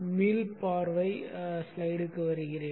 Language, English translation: Tamil, Let me get back to the overview slide